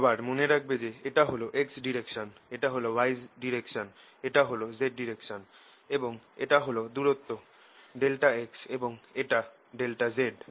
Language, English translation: Bengali, again, remember, this is my x direction, this is my y direction, this is my z direction and this distance is delta x